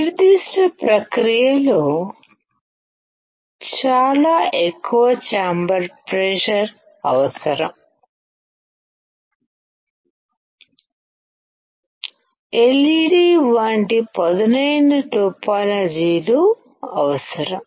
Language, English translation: Telugu, In the particular process, very high chamber pressure is required; sharp topologies like LED is required